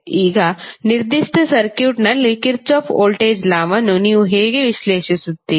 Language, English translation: Kannada, Now, how you will analyze the Kirchhoff voltage law in a particular circuit